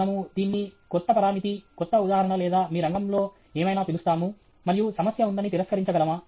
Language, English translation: Telugu, Can we call it as a new parameter, new paradigm or something, whatever in your field, and the deny that the problem exists